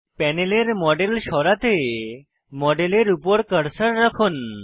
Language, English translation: Bengali, To move the model on the panel, place the cursor on the model